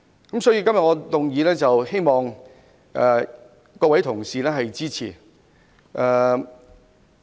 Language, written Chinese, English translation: Cantonese, 因此，我希望各位同事支持我今天的議案。, Therefore I hope Honourable colleagues can support my motion today